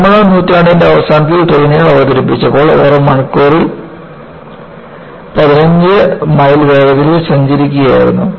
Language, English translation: Malayalam, When, trains were introduced in the later part of nineteenth century, they were traveling at a speed of 15 miles per hour